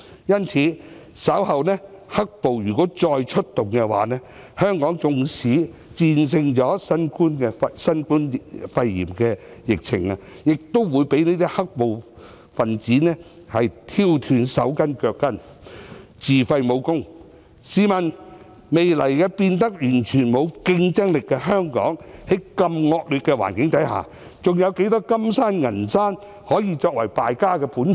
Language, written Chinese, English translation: Cantonese, 因此，如果"黑暴"稍後再出動，香港縱使戰勝新冠肺炎的疫情，亦會被"黑暴"分子挑斷"手筋腳筋"，自廢武功，試問未來變得完全沒有競爭力的香港，在如此惡劣的環境下，還有多少"金山"、"銀山"可以作為敗家的本錢？, Thus if black violence reappears even if Hong Kong wins the battle against the novel coronavirus epidemic Hong Kong will still be rendered powerless by the rioters . When Hong Kong has lost all its competitiveness may I ask how much more reserves do we have for squandering under such a poor environment?